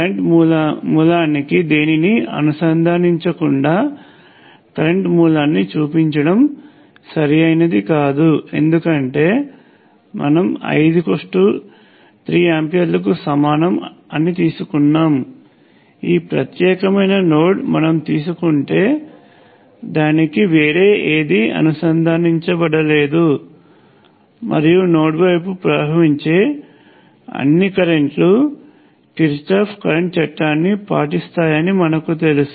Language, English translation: Telugu, It is not correct to draw a current source like this without anything connected to it, because let us say I take I equals 3 amperes, and if I take this particular node there is nothing else connected to it and we know that all the currents flowing into a nodes should obey Kirchhoff current law